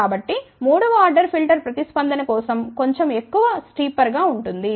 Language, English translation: Telugu, So, for third order filter response will be little more steeper